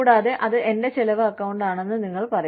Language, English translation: Malayalam, And, you will say, okay, this is your spending account